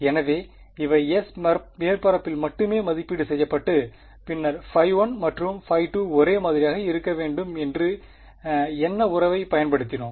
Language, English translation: Tamil, So, these were only being evaluated on the surface S and then what relation did we use to say that phi 1 and phi 2 should be the same